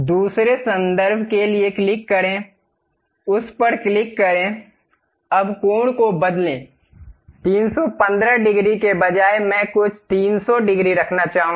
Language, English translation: Hindi, For the second reference click, click that; now change the angle, instead of 315 degrees, I would like to have some 300 degrees